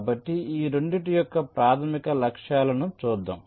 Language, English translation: Telugu, ok, so let see the basic objectives of this two